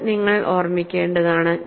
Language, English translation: Malayalam, This, you will have to keep in mind